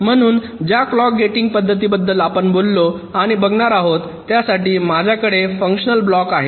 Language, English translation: Marathi, so far, whatever clock gating methods we talked about and looked at, we said that, well, i have a circuit of functional block